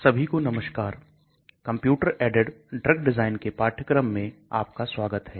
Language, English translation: Hindi, Hello everyone, Welcome to the course on computer aided drugs design